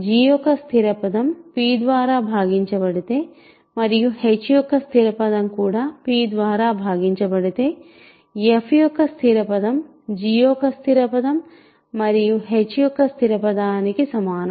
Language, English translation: Telugu, Now, if that constant term of g is divisible by p and the constant term of h is also divisible by p, we note that constant term of f, remember, is just the constant term of f, constant term of g times constant term of h, right